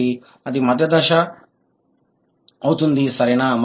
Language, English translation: Telugu, So, that is the intermediate stage, right